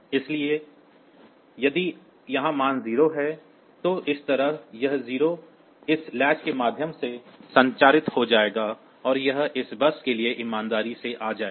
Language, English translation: Hindi, So, that way that 0 will get transmitted via this catch and it will be coming faithfully to this bus